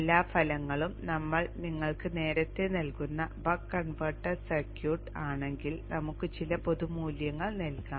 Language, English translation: Malayalam, If we revisit the buck converter circuit that we drew earlier let us put some values here generic values